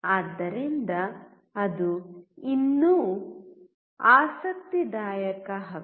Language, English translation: Kannada, So, that is even interesting right